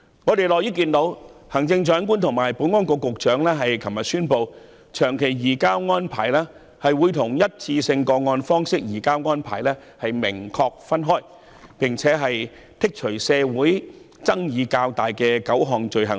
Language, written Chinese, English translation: Cantonese, 我們樂於看到行政長官及保安局局長昨天宣布，長期移交逃犯協定會與單一個案方式移交逃犯的安排明確分開，並剔除社會上爭議得較激烈的9項罪類。, We are pleased to notice that the Chief Executive and the Secretary for Security announced yesterday that the one - off case - based surrender arrangement will be differentiated clearly from the general long - term surrender arrangement and nine items of offences that are much more controversial in the community will be excluded